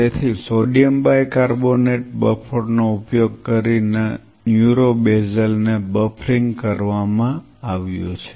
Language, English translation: Gujarati, So, neuro basal is being buffered using sodium bicarbonate sodium bicarbo buffering